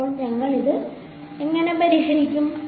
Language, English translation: Malayalam, So, how do we solve it